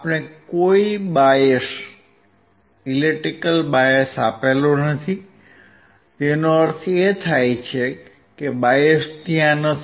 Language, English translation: Gujarati, We have not given a bias; that does not mean that bias is not there